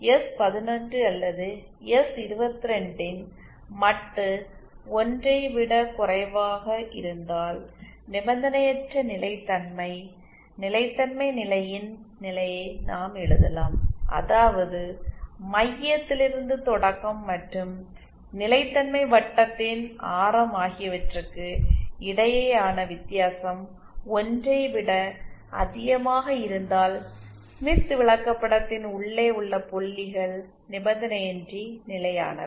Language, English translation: Tamil, And this case we can write the condition of stability condition for unconditional stability provided the modulus of s11 or s22 is lesser than 1, is that the difference between the distance of the center from the origin and the radius of the stability circle if that is greater than 1 then the points inside the smith chart are unconditionally stable